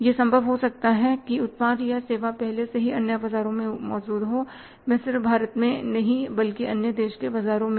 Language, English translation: Hindi, It may be possible that the product of services already existing in the other markets not in India but in the other countries market